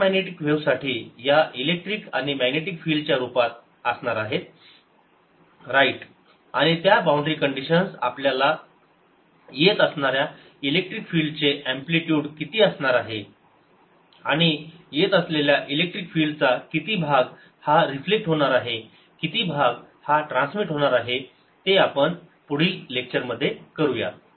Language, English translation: Marathi, for electromagnetic waves the boundary conditions are, in terms of electric and magnetic fields, right, and those boundary conditions are going to give us what amplitude of the incoming electric field is going to, what fraction of the incoming electric field is going to be reflected, what fraction is going to be transmitted